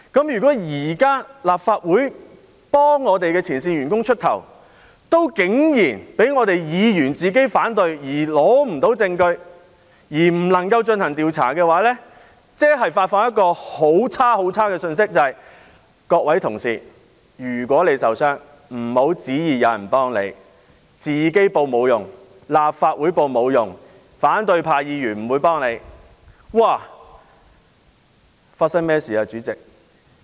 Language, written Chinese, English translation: Cantonese, 如果現在立法會為前線員工出頭，卻竟然因為議員反對而無法蒐集證據，以致無法進行調查，便會發出一個很惡劣的信息：各位同事，如果你受傷了，不要期望有人會幫助你，自己申報沒有用，立法會申報亦沒有用，反對派議員不會幫助你。, If the Legislative Council now acts on behalf of its frontline staff but it is impossible to conduct an investigation as evidence cannot be gathered due to the opposition from Members it will convey a very bad message Colleagues do not expect anyone to help you if you are injured . Whilst it is useless to report the case on your own it is useless for the Legislative Council to make a report either because the opposition Members will not help you